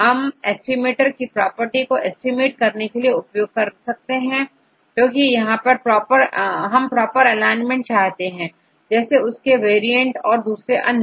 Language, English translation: Hindi, This is the practice of estimating the properties of the estimator, because here we want to have the proper alignment, such as its variance and so on